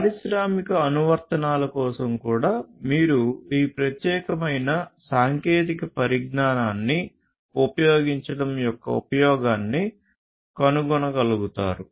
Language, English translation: Telugu, Even for industrial applications, you might be able to find the necessity or the usefulness of using this particular technology